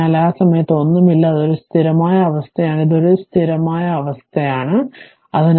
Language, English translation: Malayalam, So, at that time nothing is there it is a steady state, it is a steady state, it is at infinity